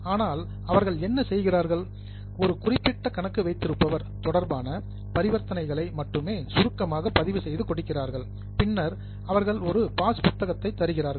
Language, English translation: Tamil, But what they are doing is they are summarizing only the transactions related to a particular account holder and then they give you a passbook